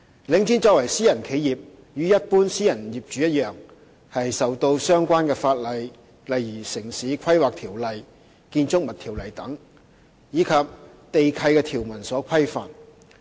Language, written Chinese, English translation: Cantonese, 領展作為私人企業，與一般私人業主一樣，受到相關法例，例如《城市規劃條例》和《建築物條例》等，以及地契條文所規範。, As a private company same as any other private owner Link REIT is subject to relevant ordinances such as Town Planning Ordinance and Buildings Ordinance and the lease conditions